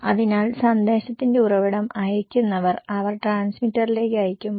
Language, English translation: Malayalam, So, the source of message, when the senders, they are sending to the transmitter